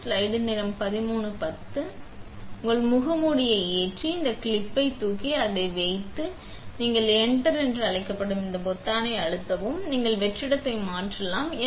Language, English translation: Tamil, So, would you load your mask in here by lift, lifting this clip here and putting it in and when it is in nice, you hit this button called enter; you can toggle the vacuum